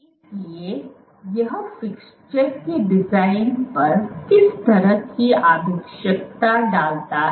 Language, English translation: Hindi, So, what does what kind of requirement does it put on the design of the fixtures